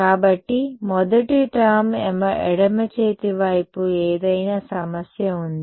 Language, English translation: Telugu, So, first term on the left hand side any problem